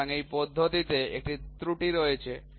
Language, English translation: Bengali, So, this method also has an error